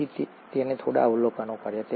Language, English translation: Gujarati, So he made a few observations